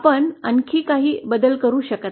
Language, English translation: Marathi, We cannot make any further changes